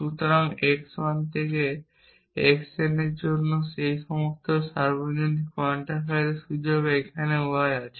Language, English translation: Bengali, So, there exist the y here is in the scope of all these universal quantifier for x 1 to x n